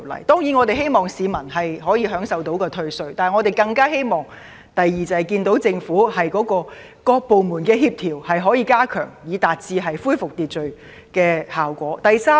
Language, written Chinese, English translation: Cantonese, 當然，我們希望市民可以享受到退稅，但我們更希望看到政府能加強各部門的協調，以達致恢復秩序的效果。, Of course we hope that members of the public can enjoy tax concessions but we hope even more earnestly that the Government can enhance the coordination among various departments to restore public order . We also see the extensive impact of the riot